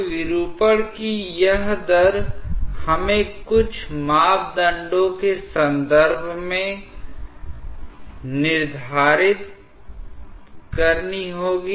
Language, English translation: Hindi, Now, this rate of deformation we have to quantify in terms of certain parameters